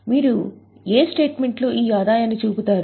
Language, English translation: Telugu, In which statement will you show the revenue